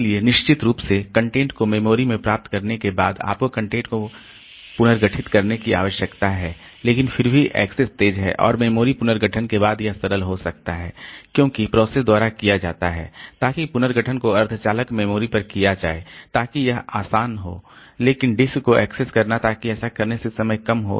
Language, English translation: Hindi, So, as a result of course after getting the content into memory so you need to reorganize the content but still the access is fast and this after with the in memory reorganization may be simple because that is done by the processor so that reorganization is a is done on semiconductor memory so that may be easy but accessing the disk so that time is reduced by doing this